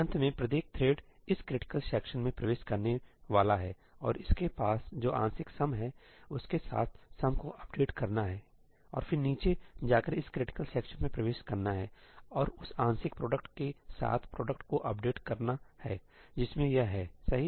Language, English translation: Hindi, At the end each thread is going to enter this critical section and update sum with the partial sum that it has and then it is going to go down and enter this critical section and update the product with the partial product that it has, right